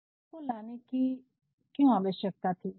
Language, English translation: Hindi, Why was the need to bring this act